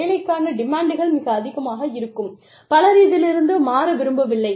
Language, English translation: Tamil, The demands of the job are, so high, that not many people, want to change